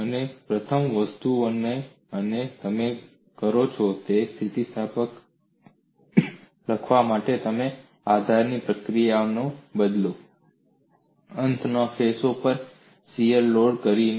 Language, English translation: Gujarati, One of the first things, you do is, in order to write the boundary condition, you replace the support reactions, by the shear loading, on the end faces